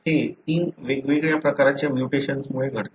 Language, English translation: Marathi, This happens because of these three different kinds of mutations